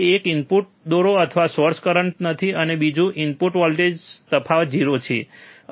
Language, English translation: Gujarati, that one is the inputs draw or source no current, and second the voltage difference between 2 input is 0